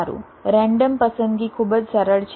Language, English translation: Gujarati, well, random selection is very sample